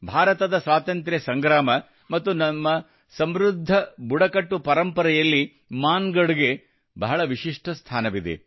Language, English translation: Kannada, Mangarh has had a very special place in India's freedom struggle and our rich tribal heritage